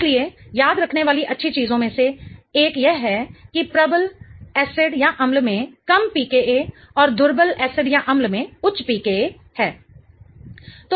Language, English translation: Hindi, So, one of the good things to remember is that strong acids have low PQAs and weak acids have high PQAs